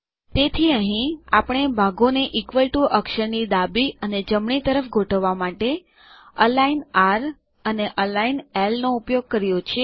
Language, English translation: Gujarati, So here, we have used align r and align l to align the parts to the right and the left of the equal to character